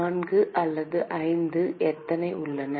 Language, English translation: Tamil, How many are there 4 or 5